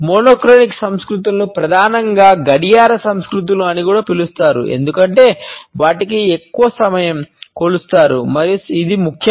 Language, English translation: Telugu, The monochronic cultures are also primarily known as the clock cultures because for them time is measured and it is of essence